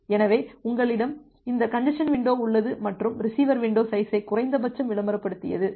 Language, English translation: Tamil, So, you have this congestion window and the receiver advertised window size minimum of that